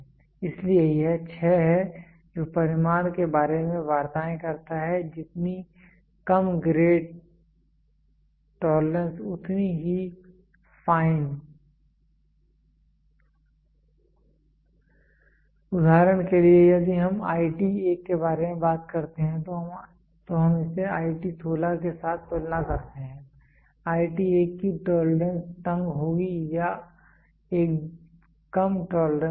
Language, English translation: Hindi, So, it is the 6 talks about the magnitude lower the grade finer the tolerance, for example if we talk about IT 1 we compare it to IT 16, IT 1 as the tighter or tolerance or a lesser tolerance